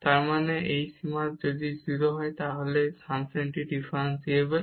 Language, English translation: Bengali, That means, if this limit is 0 then the function is differentiable